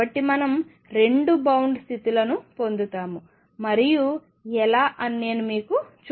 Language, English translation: Telugu, So, happens that we get 2 bound states and let me show you how